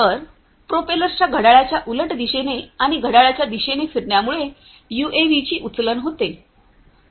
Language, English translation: Marathi, So, because of this combination of counterclockwise and clockwise rotation of these propellers the lift of the UAV takes place